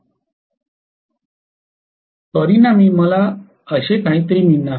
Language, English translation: Marathi, So what I am going to do is something like this